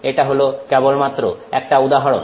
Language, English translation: Bengali, This is just an example